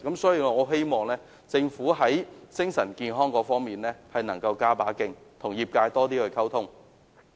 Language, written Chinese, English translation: Cantonese, 所以，我希望政府在精神健康方面能夠加把勁，與業界加強溝通。, So I hope the Government can step up its efforts in promoting mental health and enhance its communication with the sector